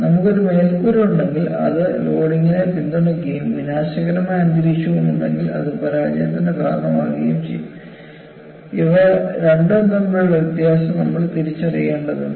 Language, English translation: Malayalam, But if you have a roof, which is supporting load and also in corrosive environment that causes failure, we have to distinguish the difference between the two